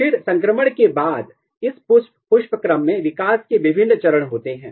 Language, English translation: Hindi, Then after transition, this inflorescence is undergoing a different stage of development